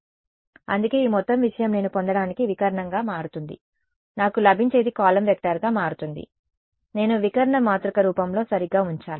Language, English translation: Telugu, So, that is why this whole thing becomes diagonal of whatever I get, whatever I get is going to be a column vector I need to put into a diagonal matrix form right